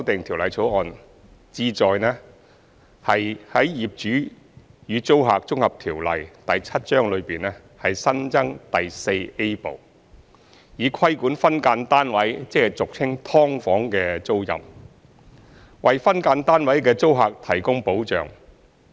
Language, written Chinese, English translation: Cantonese, 《條例草案》旨在於《業主與租客條例》內新增第 IVA 部，以規管分間單位的租賃，為分間單位的租客提供保障。, The Bill seeks to regulate tenancies in respect of SDUs through adding a new Part IVA to the Landlord and Tenant Ordinance Cap . 7 to provide protection for SDU tenants